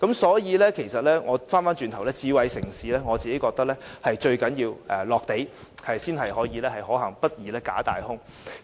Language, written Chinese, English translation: Cantonese, 所以，其實我認為智慧城市最重要的是實用，才會可行，不宜"假大空"。, In my opinion it is most important for a smart city to be practical rather than making empty promises